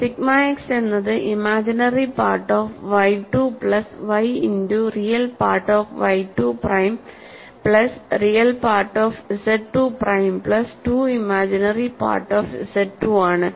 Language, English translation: Malayalam, I have sigma x sigma y tau x y, and sigma x is given as,, imaginary part of y 2 plus y multiplied by real part of y 2 prime plus real part of z 2 prime plus 2 imaginary part of z 2